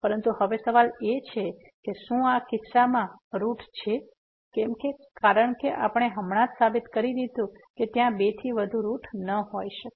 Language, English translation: Gujarati, But, now the question is whether there is a root in this case, because we have just proved that there cannot be more than two roots